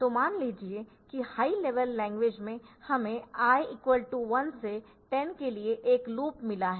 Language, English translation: Hindi, So, I can I suppose in high level language we have got a loop like this for I equal to 1 to 10 ok